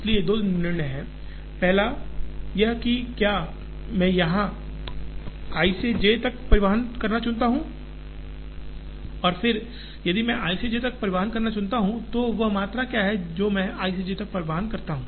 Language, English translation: Hindi, So, there are two decisions, first of all whether I choose to transport from i to j and then if I choose to transport from i to j, what is the quantity that I transport from i to j